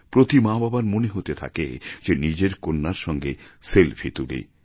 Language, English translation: Bengali, Every parent started feeling that they should take a selfie with their daughter